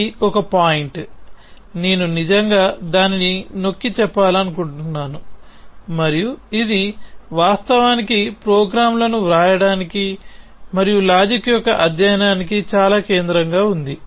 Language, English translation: Telugu, So, that is one point which, I really want to emphasis that and this is something which is very central to in fact writing programs as well as the study of logic